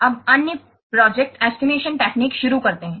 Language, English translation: Hindi, Now let's start the other project estimation techniques